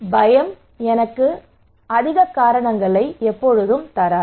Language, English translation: Tamil, So fear would not give me much reason